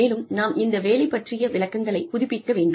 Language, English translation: Tamil, And, we need to keep these job descriptions, updated